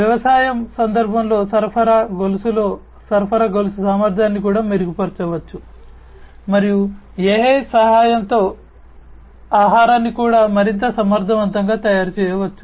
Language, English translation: Telugu, Supply chain efficiency also can be improved in supply chain in the context of agriculture and food could also be made much more efficient with the help of AI